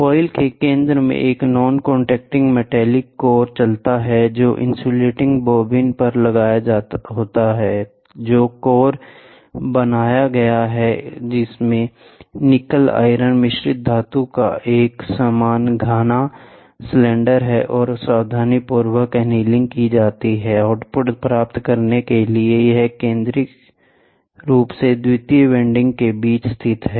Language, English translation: Hindi, A non contacting magnetic core moves in the center of the coil which are mounted is the insulating bobbin, the core which is made has a uniform dense cylinder of nickel iron alloy is and carefully annealed, to get the output, it is centrally positioned between the secondary windings